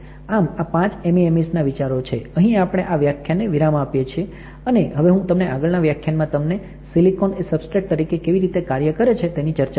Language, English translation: Gujarati, So, these are the five key concepts for the MEMS, here we will stop our lecture and I will see you in the next lecture talking more about silicon as a substrate